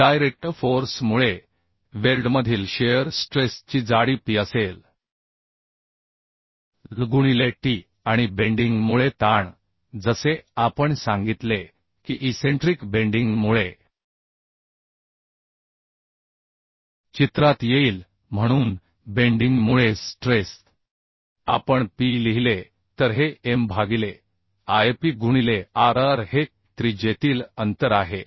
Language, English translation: Marathi, So shear stress in the weld due to direct force will be P by L into t and stress due to bending as we told that because of eccentricity bending will come into picture moment will come into picture so stress due to bending if we write Pb this will be M by Ip into r r is the radial distance